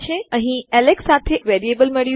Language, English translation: Gujarati, We have got a variable here with Alex